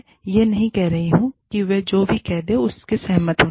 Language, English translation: Hindi, I am not saying, agree to whatever they are saying